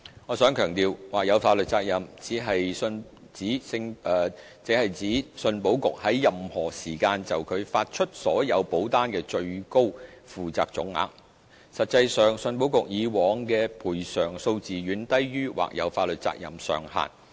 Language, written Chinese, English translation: Cantonese, 我想強調，或有法律責任只是指信保局在任何時間就其發出所有保單的最高負責總額，實際上，信保局以往的賠償數字遠低於或有法律責任上限。, I would like to emphasize that the contingent liability only refers to the maximum amount for which ECIC could be contractually liable to indemnify policyholders in respect of its insurance policies . The actual claims figures in the past were far below the maximum contingent liability